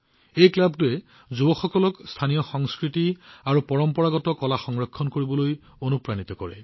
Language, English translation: Assamese, This club inspires the youth to preserve the local culture and traditional arts